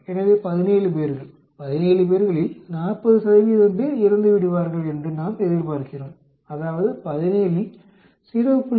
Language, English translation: Tamil, So, 17 people we expect 40 percent of 17 to die, that means 0